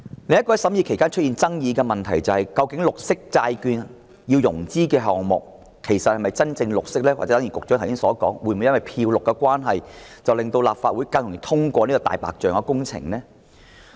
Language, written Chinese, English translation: Cantonese, 另一個在審議期間出現爭議的問題是，究竟透過綠色債券融資的項目是否真正"綠色"，還是正如局長剛才所說，會否因為"漂綠"的關係而令立法會更容易通過"大白象"工程呢？, Another controversy that has arisen during the scrutiny is whether projects financed by green bonds are really green or as the Secretary stated just now whether the Legislative Council will be more likely to approve white elephant projects because of the greenwashing?